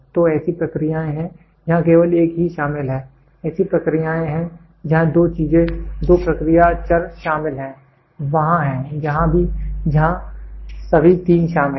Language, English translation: Hindi, So, in there are processes where only one is involved, there are processes where two thing two process variables are involved, there are where are all the three is involved